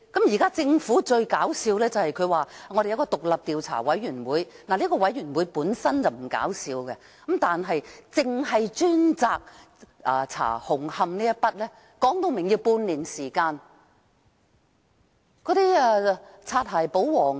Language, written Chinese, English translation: Cantonese, 現在政府最搞笑的，是成立一個獨立調查委員會，這個調查委員會本身並不搞笑，但光是調查紅磡站便說需要半年時間。, The funniest thing is that the Government will set up an independent Commission of Inquiry . The Commission of Inquiry itself is not funny but it is funny that it will take half a year to investigate the Hung Hom Station alone